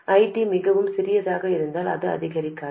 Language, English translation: Tamil, So if ID is too small, it increases